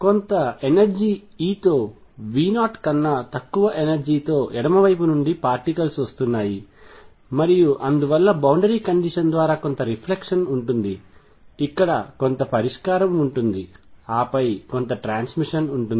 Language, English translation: Telugu, There are particles coming from the left with energy less than V 0 with some energy e and therefore, by boundary condition there will be some reflection there will be some solution here and then there will be some transmission